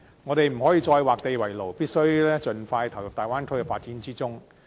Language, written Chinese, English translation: Cantonese, 香港不可以再劃地為牢，必須盡快投入大灣區的發展之中。, Hong Kong must stop isolating itself . It must participate in Bay Area development as soon as possible